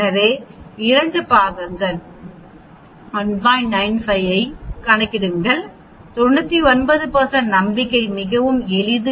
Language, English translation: Tamil, So 2 parts, 1 is calculating the 95, 99 % confidence is very simple